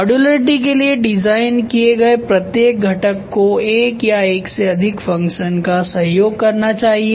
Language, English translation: Hindi, Each component design for modularity is supposed to support one or more function ok